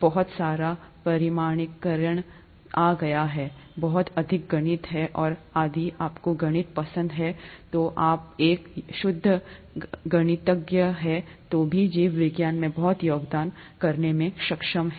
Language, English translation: Hindi, A lot of quantification has come in, and there’s a lot of math even if you like math, and you would be able to contribute a lot in biology even if you are a pure mathematician